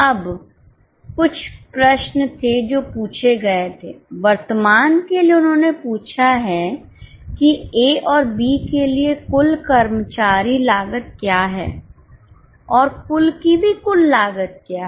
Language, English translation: Hindi, For current, they have asked what is a total employee cost for A and B and also total of the total